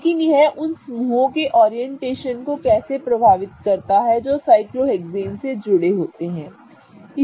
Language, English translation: Hindi, But how does that affect the orientation of groups that are attached to the cyclohexane